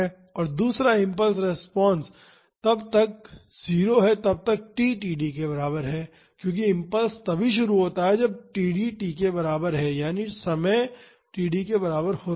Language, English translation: Hindi, And, the second impulse response is 0 till t is equal to td, because the impulse starts only when td is equal to time is equal to td